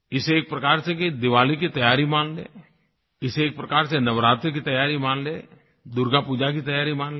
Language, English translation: Hindi, We could look at this as preparations for Diwali, preparations for Navaratri, preparations for Durga Puja